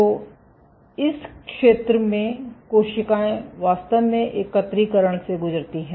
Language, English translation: Hindi, So, in this zone the cells actually undergo aggregation